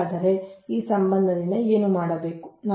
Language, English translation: Kannada, so what will do from this relation